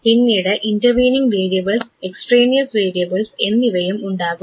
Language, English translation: Malayalam, And then we have intervening variables, the extraneous variables